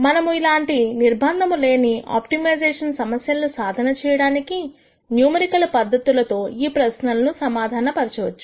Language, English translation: Telugu, We will answer these questions when we look at numerical methods of solving these kinds of unconstrained optimization problems